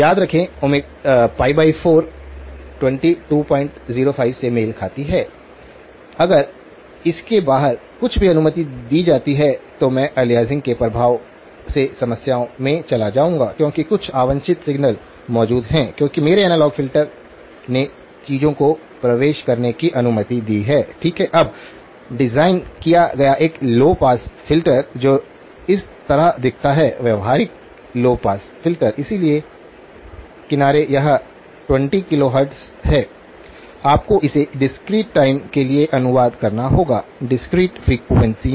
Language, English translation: Hindi, Remember pi by 4 corresponds to 22 point 05, if anything outside of that is allowed then I will run into problems with the effect of aliasing because there is some unwanted signals that are present because my analogue filter allowed the things to creep in, okay now having designed a low pass filter which looks like this, practical low pass filter, so the edge, this is 20 kilohertz, you have to translate it to discrete time; discrete frequencies